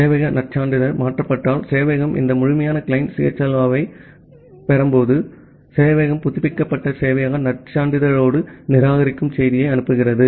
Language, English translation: Tamil, If the server credential has been changed, when the server received this complete client CHLO, the server sends reject message with the updated server credential